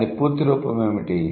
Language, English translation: Telugu, And what is the full form of it